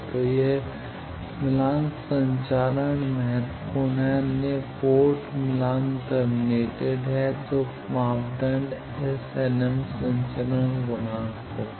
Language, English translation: Hindi, So, this match transmission is important other ports match terminated then is parameter S nm are transmission coefficient